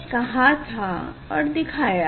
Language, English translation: Hindi, here I have shown you